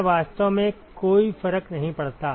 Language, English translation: Hindi, It really does not matter